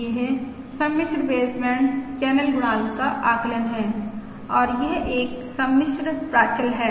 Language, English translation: Hindi, This is the estimate of the complex baseband channel coefficient and this is a complex parameter